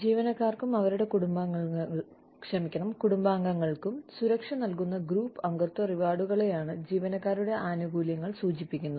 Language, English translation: Malayalam, Employee benefits refer to, group membership rewards, that provide security, for employees, and their family members